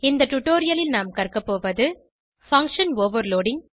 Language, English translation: Tamil, In this tutorial, we will learn, Function Overloading